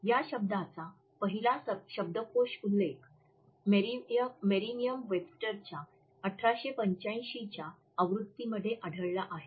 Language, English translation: Marathi, Though the first dictionary entry of the term is found in the 1885 edition of Merriam Webster dictionary